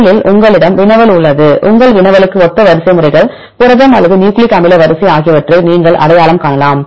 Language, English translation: Tamil, First you have a query sequence you can identify the sequences, protein or nucleic acid sequence similar to your query right this is first one